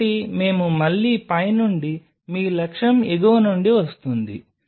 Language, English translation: Telugu, So, we have again from the top your objective is coming from the top